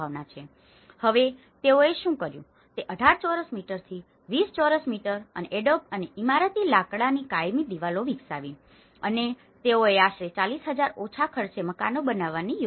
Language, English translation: Gujarati, So, now what they did was they developed from 18 square meters to 20 square meters and the permanent walls of adobe and timber and they launched the project build about 40,000 low cost houses